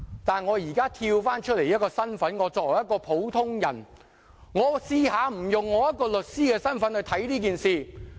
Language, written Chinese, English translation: Cantonese, 但我現在從律師身份抽身出來，作為一個普通人，我嘗試不以律師身份看這件事。, But I am speaking not in my capacity as a lawyer but as an ordinary man . I am trying to look at this incident not from the angle of a lawyer